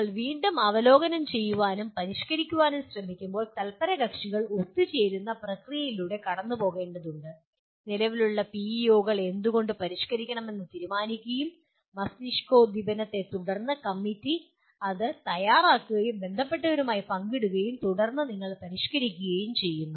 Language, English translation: Malayalam, And when you are trying to review and modify again one has to go through the process of stakeholders meeting together and deciding why should the existing PEOs be modified and after brainstorming the committee prepares and shares it with the stakeholders and then correspondingly you modify